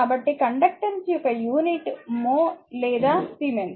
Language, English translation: Telugu, So, the unit of conductance is mho or siemens